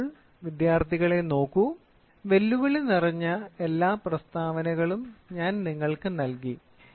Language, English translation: Malayalam, So, now look at it students I have given you all challenging problems statements